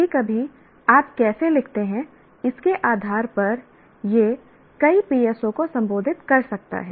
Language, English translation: Hindi, Occasionally, depending on how you write, it may address multiple PSOs